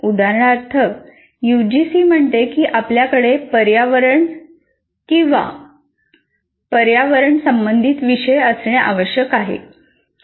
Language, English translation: Marathi, For example, UGC says you have to have a course on ecology or environment, whatever name that you want